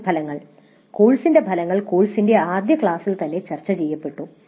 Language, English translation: Malayalam, Course outcomes were discussed upfront right in the very first class of the course